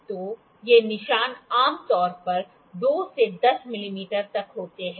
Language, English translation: Hindi, So, these markings are generally from 2 to 10 mm